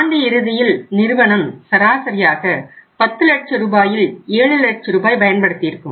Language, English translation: Tamil, It may be possible that the end of the year on an average firm used 7 lakh rupees out of that 10 lakh rupees